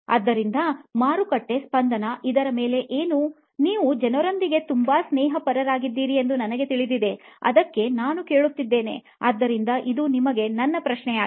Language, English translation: Kannada, So what is the market pulse on this, you are the people guy I know you are very friendly with people that is what I hear, so this is my question to you